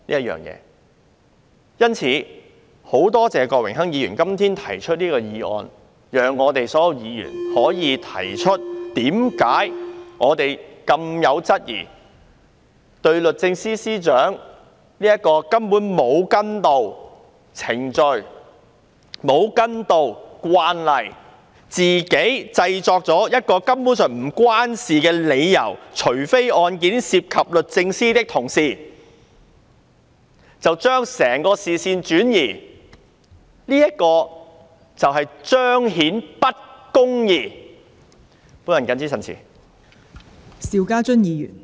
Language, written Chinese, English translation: Cantonese, 因此，我很多謝郭榮鏗議員今天提出這項議案，讓所有議員可質疑律政司司長為何沒有跟從程序、沒有根據慣例，反而自行制作一個根本無關的理由，說除非案件涉及律政司的同事，把整個視線轉移，使公義不能彰顯。, Hence I thank Mr Dennis KWOK for moving this motion today so that all Members can have an opportunity to question the Secretary for Justice why she has not followed the procedure and the precedent cases and why she has to make up an irrelevant reason that only cases involving members of DoJ would be briefed out in order to divert our attention and prevent justice from being upheld